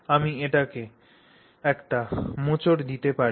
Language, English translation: Bengali, So, I can give it a twist